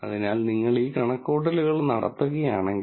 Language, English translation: Malayalam, So, if you do this calculation